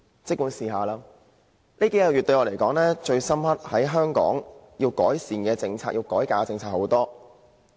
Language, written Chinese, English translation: Cantonese, 這數個月來，我覺得最深刻的......香港有很多政策需要改革和改善。, Over the past few months I am struck most by the fact that many policies in Hong Kong are in need of reform and improvement